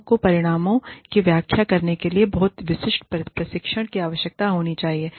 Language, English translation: Hindi, People should not need, very specialized training, to interpret the results